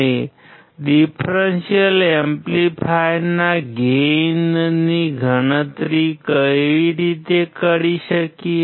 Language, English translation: Gujarati, How can we calculate the gain of a differential amplifier